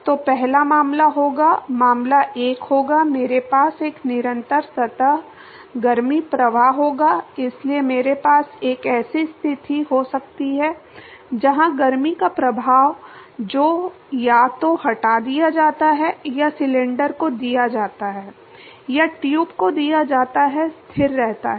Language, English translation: Hindi, So, first case would be, case one would be I have a constant surface heat flux, so I can have a situation, where the flux of heat that is either removed or given to the cylinder or given to the tube is maintained constant